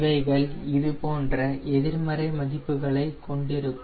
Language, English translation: Tamil, it will be in negatives, negative values, something like this